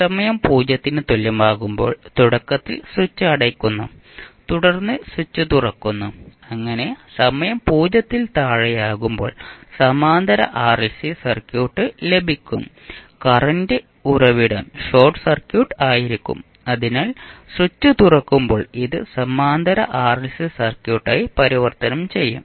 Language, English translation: Malayalam, We are initially keeping the switch closed at time t is equal to 0 we are opening up the switch so that we get the parallel RLC circuit at time t less then 0 the current source will be short circuit so when we open it then it will be converted into Parallel RLC Circuit